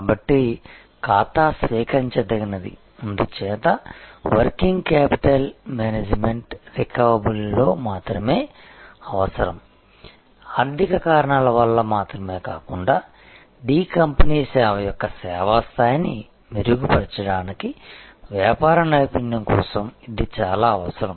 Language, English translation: Telugu, So, account receivable is therefore, not only required for working capital management reduction in of account receivable is very important of not only for finance reasons, but it is very much needed for business excellence for improving the service level of D company’s service to it is customers